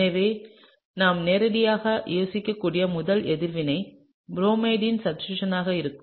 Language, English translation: Tamil, So, the first reaction that we could think of directly would be a substitution of the bromide